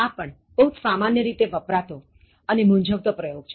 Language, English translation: Gujarati, This also commonly used, confused expression